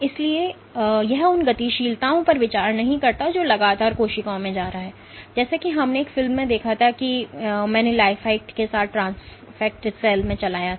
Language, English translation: Hindi, So, it does not take into account the dynamics which is continuously going in the cells, as we observed in a movie that I had played in a cell transfected with Lifeact